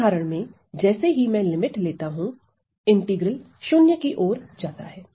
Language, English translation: Hindi, In this limit, I get for this example as I take the limit the integral goes to 0